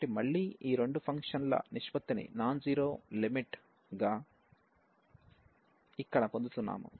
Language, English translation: Telugu, So, again we are getting a non zero limit here as the ratio of these two functions